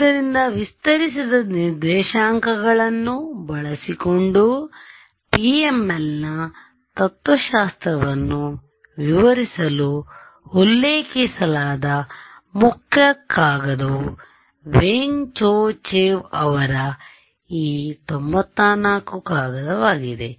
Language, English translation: Kannada, So, the paper main the main paper which are referred to for explaining the philosophy of PML using stretched coordinates is this 94 paper by Weng Cho Chew